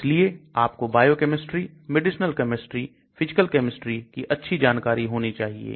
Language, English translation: Hindi, So you need lot of knowledge about biochemistry, medicinal chemistry, physical chemistry